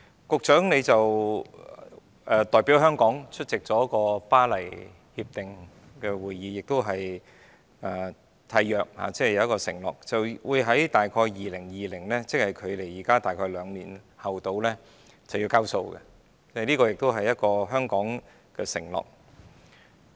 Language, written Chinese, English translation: Cantonese, 局長代表香港出席《巴黎協定》會議，並作出一項承諾，就是於2020年左右——即距今約兩年——便"交數"，這是香港的承諾。, The Secretary attended a meeting on the Paris Agreement as Hong Kongs representative and made the commitment that around 2020―around two years from now―Hong Kong would be able to meet the relevant targets . This is the commitment made by Hong Kong